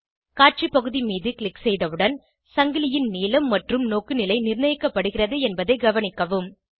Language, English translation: Tamil, Note once we click on the Display area, the chain length and orientation of the chain are fixed